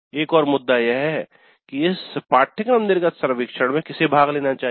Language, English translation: Hindi, And another issue is that who should participate in this course exit survey